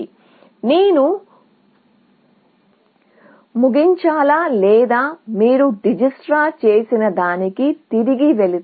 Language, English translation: Telugu, So, should I terminate, or if you go back to what Dijikistra would have done